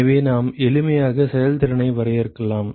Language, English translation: Tamil, So, we can simply define efficiency as